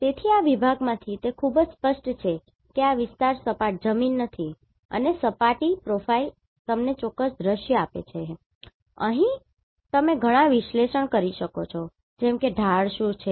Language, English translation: Gujarati, So, it is very clear from this section that this area is not a flat land and the surface profile gives you the exact scenario and here you can do a lots of analysis like what is this slope